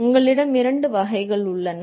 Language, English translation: Tamil, You have two types